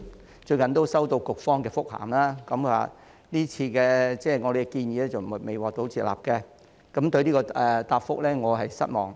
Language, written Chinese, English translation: Cantonese, 我最近收到局方的覆函，得知我們這次的建議未獲接納，我對這個答覆感到失望。, I have received a reply from the Bureau recently and learned that our proposal has not been accepted . I am disappointed with this reply